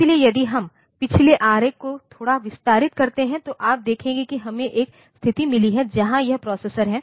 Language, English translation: Hindi, So, if we expand the previous diagram a bit then you will see that we have got a situation where this processor